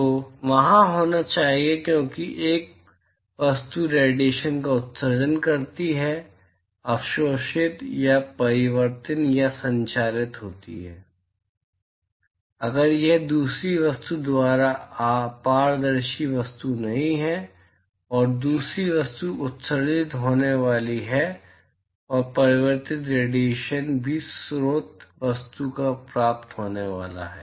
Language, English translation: Hindi, So, there has to be a because one object emits radiation there is absorbed or reflected or transmitted, if it is not an opaque object by the other object; and the other object is going to emit and the reflected radiation is also going to be received by the source object